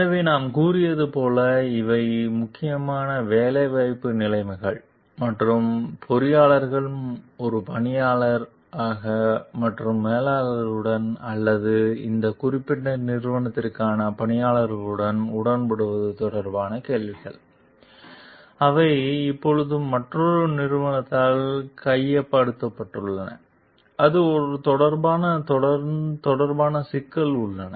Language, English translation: Tamil, So, these as we told are mainly questions related to employment conditions and at engineer as an employee and in agreement with the managers or with the working for this particular organization now which has been taken over by another organization and there are issues related to it